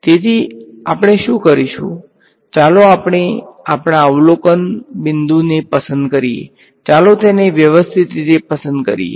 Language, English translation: Gujarati, So, what we will do is let us choose our the observation point let us choose them systematically